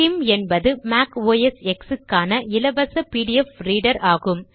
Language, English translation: Tamil, skim is a free pdf reader available for Mac OSX